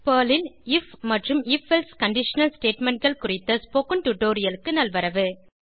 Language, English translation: Tamil, Welcome to the spoken tutorial on if and if else conditional statements in Perl